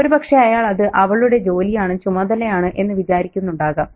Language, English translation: Malayalam, Maybe he is letting her do it because that's her chore, that's her task